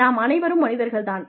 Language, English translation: Tamil, We are human beings